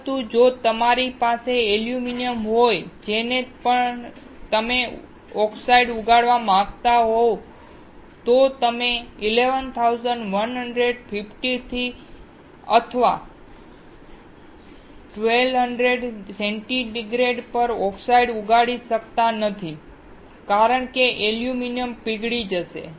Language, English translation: Gujarati, But, if you have aluminum on which you want to grow oxide, then you cannot grow oxide at 1150 or 1200 degree centigrade, because the aluminum will melt